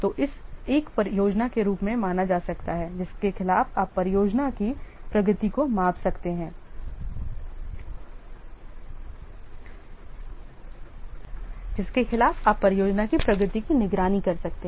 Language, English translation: Hindi, So, this can be treated as a plan against which you can measure the progress of the project against which you can monitor the progress of the project